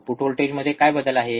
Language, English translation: Marathi, What is the change in the output voltage, right